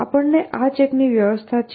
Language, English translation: Gujarati, So, we need this check essentially